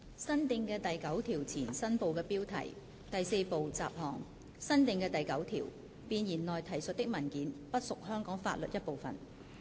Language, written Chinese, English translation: Cantonese, 新訂的第9條前第4部雜項新部的標題新訂的第9條弁言內提述的文件不屬香港法律一部分。, New Part heading before new clause 9 Part 4 Miscellaneous New clause 9 Instruments referred to in the Preamble not part of Hong Kong law